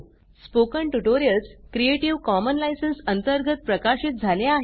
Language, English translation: Marathi, Spoken tutorials are released under creative commons license